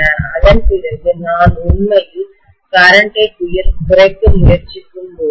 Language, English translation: Tamil, After that, when I am trying to actually reduce the current, right